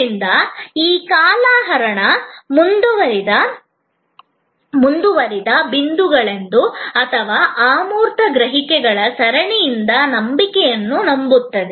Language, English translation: Kannada, So, the challenge is how to create this lingering, continuing, good feeling, leading to trust belief from a series of intangible perceptions out of multiple touch points